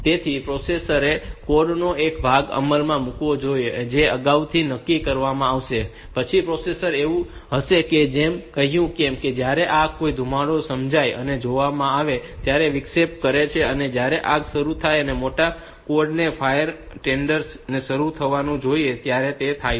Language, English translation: Gujarati, So, processor should execute a piece of code which is pre decided, then this processor will be like as I said that whenever this smoke detected sense and interrupt that a smoke has been detected, the code for initiating the fire a fire tenders that should start for activating the fire tenders that should start